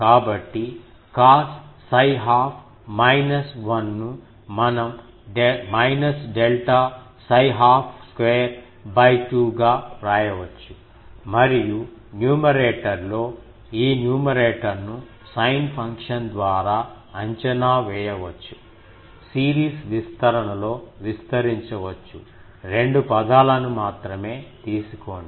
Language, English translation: Telugu, So, cos this minus 1 that we can write as minus delta psi half square by 2 and in the numerator, these sin function can be approximated by numerator sin function, expand in a series expansion, take only two terms